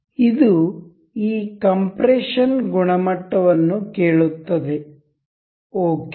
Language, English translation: Kannada, This asks for this compression quality, we will ok